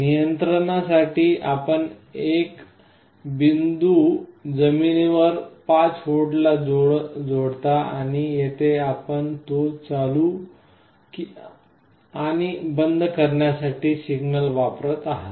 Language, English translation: Marathi, For controlling you connect one point to ground, 5 volt, and here you are applying a signal to turn it on and off